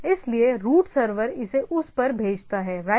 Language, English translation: Hindi, So, the root server sends it to that right